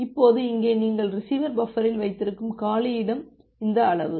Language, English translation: Tamil, Now here the free space that you have in the receiver buffer that is this amount